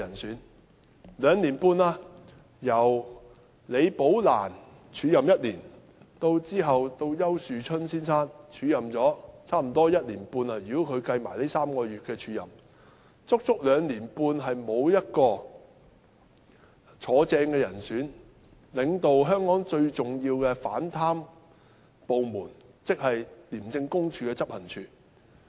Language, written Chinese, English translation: Cantonese, 已經兩年半了，由李寶蘭署任1年，其後由丘樹春先生署任了差不多1年半——如果連同這3個月計算在內——足有兩年半的時間，沒有人正式擔任此職位，領導香港最重要的反貪部門，即廉署的執行處。, It has already been two and a half years . Rebecca LI acted up the post for a year followed by Ricky YAU who has acted up for almost a year and a half including these past three months . It has been as long as two and a half years during which no substantive appointee assumed this post to lead the most important anti - corruption department in Hong Kong ie